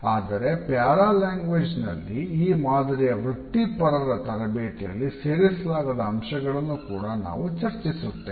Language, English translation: Kannada, But in paralanguage we look at those aspects of language which we come across in those professionals where this type of training is not included